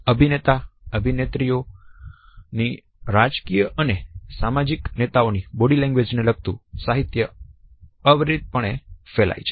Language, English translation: Gujarati, Body language of actress actresses political and social leaders are disseminated endlessly